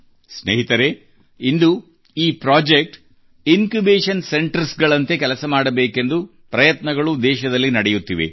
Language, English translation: Kannada, Friends, today an attempt is being made in the country to ensure that these projects work as Incubation centers